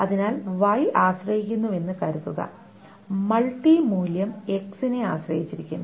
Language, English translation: Malayalam, So suppose Y depends, multivalue depends on X